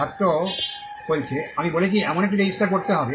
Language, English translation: Bengali, Student: I told even have to register